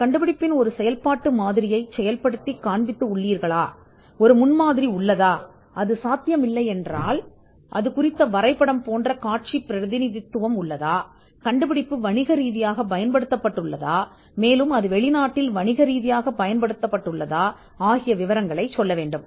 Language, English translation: Tamil, Working of a working example of the invention, now is there a prototype of the invention, if it is not possible is there a visual representation say, a drawing and whether the invention has been commercially exploited and whether it has been exploited abroad